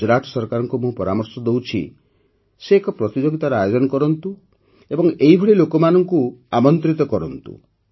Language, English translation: Odia, I request the Gujarat government to start a competition and invite such people